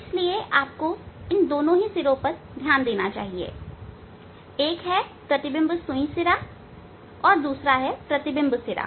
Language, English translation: Hindi, they will so you have to concentrate the tip of these two; one is image needle tip and another one is image tip